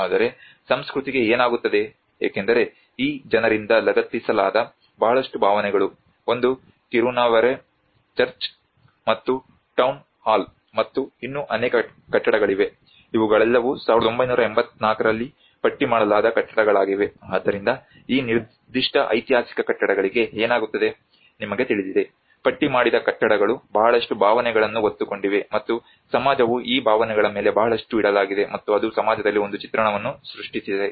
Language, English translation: Kannada, But what happens to the culture because a lot of emotions which are attached by these people, one is the Kirunavare Church and the Town Hall and there are also many other buildings which are all listed buildings in 1984 so what happens to these particular historical buildings you know the listed buildings which have carry a lot of emotions and society have laid upon these emotions, and it has created an image within the society